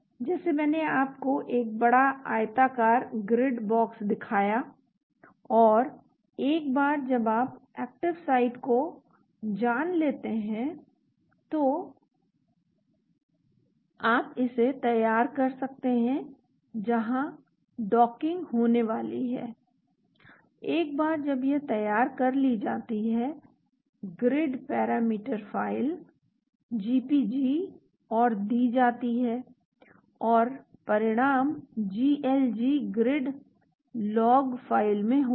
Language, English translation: Hindi, Like I showed you a big rectangular grid box and once you know the active site you can prepare it where the docking is going to take place, once that is prepared the Grid Parameter File GPG and is given and the results will be in GLG Grid Log File